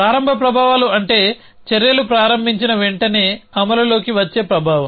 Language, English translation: Telugu, Start effects are the effect which comes into play as soon as actions begin